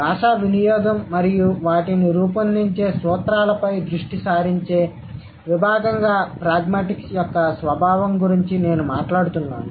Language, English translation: Telugu, I'm talking about the nature of pragmatics as a domain which focuses on language use and the principles that shape them